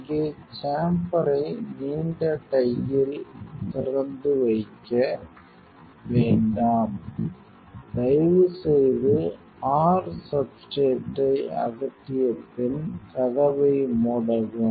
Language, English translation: Tamil, Here do not keep the chamber open in a long time, please after you remove your substrate please close the door